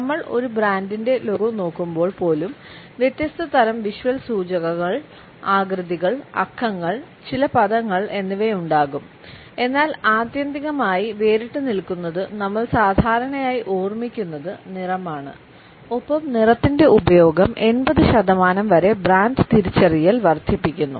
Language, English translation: Malayalam, Even though when we look at a brands logo there are different types of visual cues, shapes, numbers, certain words would also be there, but what stands out ultimately is the color which we normally remember and the use of color increases brand recognition by up to 80 percent